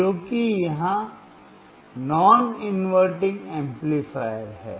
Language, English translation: Hindi, Because this is non inverting amplifier